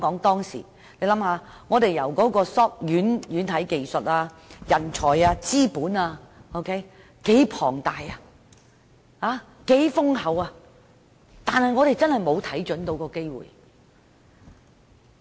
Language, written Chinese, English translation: Cantonese, 當時香港具備軟件技術和人才、資本龐大，但我們卻沒有看準機會。, At that time Hong Kong already had the software technology and talent as well as a huge capital but we fail to seize the opportunity